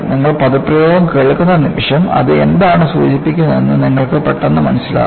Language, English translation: Malayalam, And, the moment you listen to the jargon, you immediately understand what it conveys